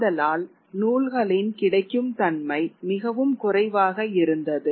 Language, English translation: Tamil, So therefore there is larger availability of books